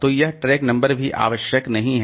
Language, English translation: Hindi, So, this track number is also not necessary